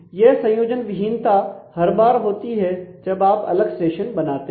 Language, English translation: Hindi, So, it is connectionless every time you do you have a separate session